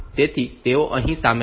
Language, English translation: Gujarati, So, they are included here